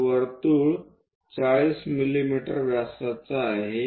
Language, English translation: Marathi, So, the circle is 40 mm diameter